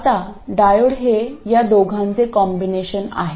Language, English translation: Marathi, Now the diode is a combination of these two